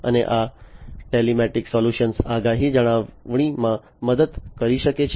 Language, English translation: Gujarati, And these telematic solutions can help in forecasting maintenance etcetera